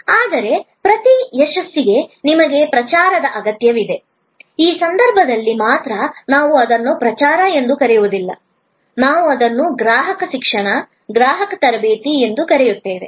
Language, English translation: Kannada, But, for each success, you need promotion, only in this case, we do not call it promotion, we call it customer education, customer training